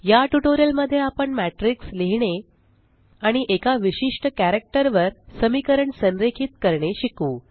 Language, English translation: Marathi, Now, we can also use matrices to write two or three equations and then align them on a particular character